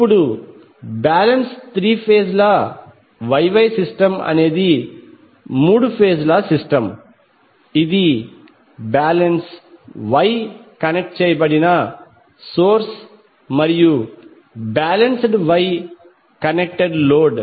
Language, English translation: Telugu, Now a balanced three phase Y Y system is a three phase system with a balance Y connected source and a balanced Y connected load